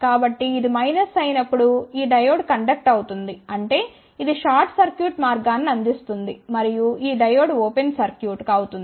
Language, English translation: Telugu, So, when this is minus this diode will conduct so; that means, this will provide short circuit path and this diode will be open circuit